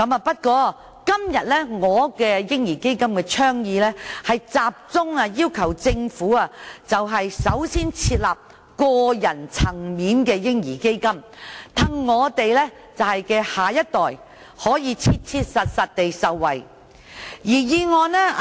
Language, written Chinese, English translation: Cantonese, 不過，我今天的倡議，是集中要求政府首先設立個人層面的"嬰兒基金"，讓我們下一代可以切切實實地受惠。, This is an issue on which we have received many complaints from the public . Nevertheless my proposal today focuses on urging the Government to establish a baby fund at the personal level so that our next generation can actually benefit from it